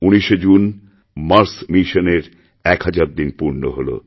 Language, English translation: Bengali, On the 19th of June, our Mars Mission completed one thousand days